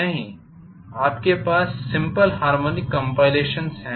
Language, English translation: Hindi, No, you have simple harmonic compilations